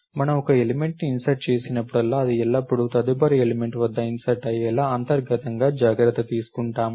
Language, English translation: Telugu, So, we take care of it internally that whenever we insert an element, it is always inserted at the next element